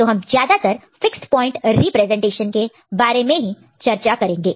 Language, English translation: Hindi, So, we shall mostly deal with fixed point representation in our subsequent discussion later